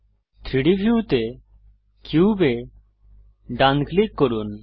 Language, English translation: Bengali, Right click the cube in the 3D view